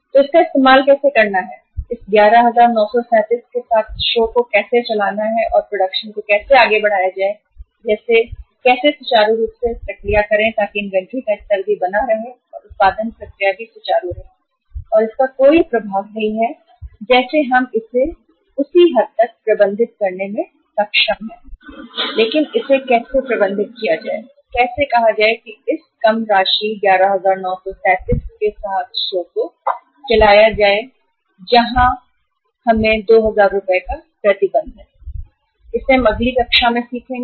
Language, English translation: Hindi, So how to use it, how to run the show with this 11,937 and how to say carry on the production process smoothly so that inventory level is also maintained production process is also uh smooth and there is no impact of this as such to the extent we are able to manage it we would manage it but how to manage it and how to say run the show with this reduced amount 11,937 where we have the restriction of 2000 we will learn in the next class